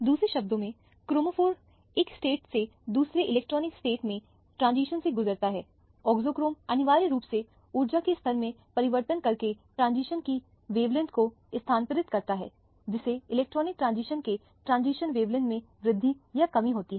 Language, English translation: Hindi, In other words chromophore undergoes the transition from one state to another electronic state, the auxochrome essentially shifts the wavelength of the transitions by altering the energy levels thereby increasing or decreasing the wavelength of transition of the electronic transition that we deal with